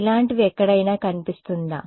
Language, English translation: Telugu, Does this sort of appear somewhere